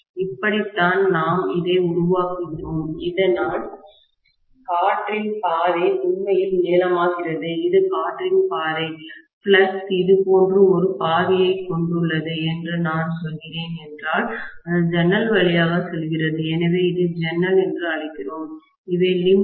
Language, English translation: Tamil, This is how we make it so that the air path really becomes longer, this is the air path, if I am saying that the flux is having a path like this, it is going through the window, so we call this as the window and these are limbs, right